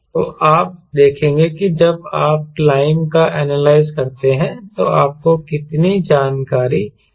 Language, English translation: Hindi, so you will see that when you analyzing climb how many information you get